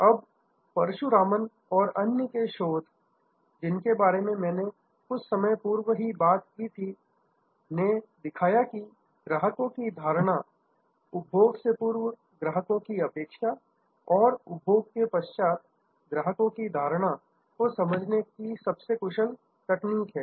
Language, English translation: Hindi, Now, the research of Parasuraman and others, which I talked about a little while earlier, showed that the best way to understand customers perception, pre consumption, expectation and post consumption perception